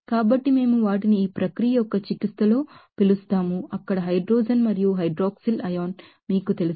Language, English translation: Telugu, So, we call them in therapy of this process like you know hydrogen and hydroxyl ion there